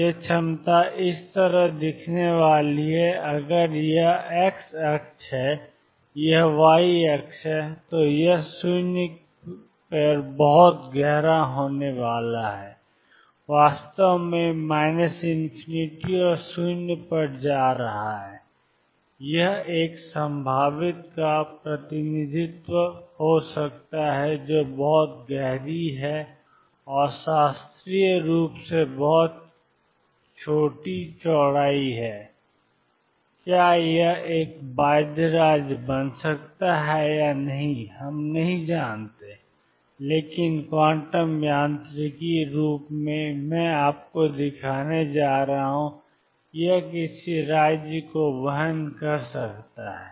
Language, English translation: Hindi, This potential is going to look like this, if this is the x axis, this is the y axis, it is going to be very deep at x equal to 0, infect going to minus infinity and 0 everywhere else this could be a representation of a potential which is very deep an and has very small width classically whether this can a ford a bound state or not we do not know, but quantum mechanically I am going to show you that this afford someone state